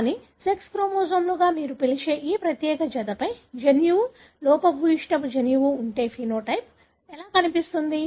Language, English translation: Telugu, But, how would a phenotype look if the gene, defective gene is located on this particular pair which you call as sex chromosomes